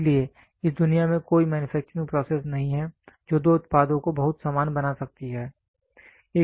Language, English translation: Hindi, So, there is no manufacturing process in this world, which can make two products very identical